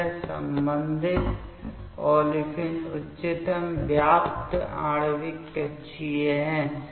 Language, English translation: Hindi, So, this is the corresponding olefins highest occupied molecular orbital